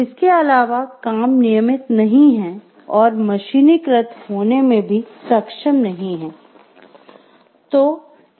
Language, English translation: Hindi, Also the work is not routine and is not capable of being mechanized